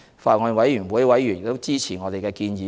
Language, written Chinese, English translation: Cantonese, 法案委員會委員亦支持我們的建議。, Members of the Bills Committee support our proposals